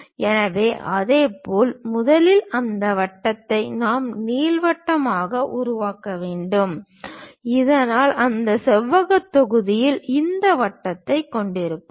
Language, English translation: Tamil, So, in the similar way first of all we have to construct that circle into ellipse so that, we will be having this ellipse on that rectangular block